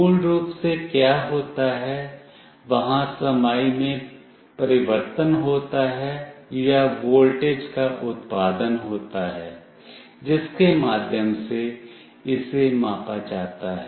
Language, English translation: Hindi, What happens basically is there is a change in capacitance or there is a generation of voltage through which it is measured